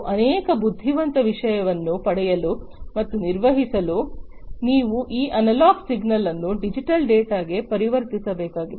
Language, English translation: Kannada, And to get and to perform multiple you know intelligent stuff you need to convert this analog signal into digital data, right